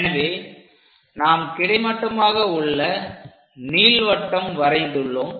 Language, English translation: Tamil, We have to draw a perpendicular line